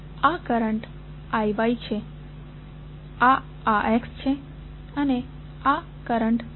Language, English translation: Gujarati, This current is I Y, this is I X and this current is I